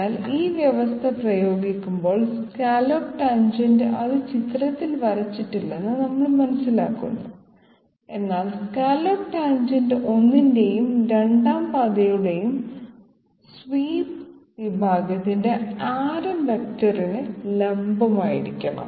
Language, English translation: Malayalam, So applying this condition we understand that the scallop tangent, it is not drawn in the figure but the scallop tangent has to be perpendicular to the radius vector of the swept section of the 1st as well as the 2nd path